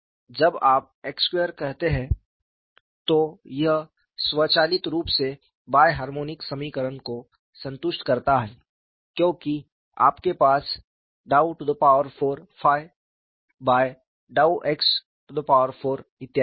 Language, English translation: Hindi, When you say x squared, it automatically satisfies the bi harmonic equation, because you have dou power 4 phi by dow x power 4 and so on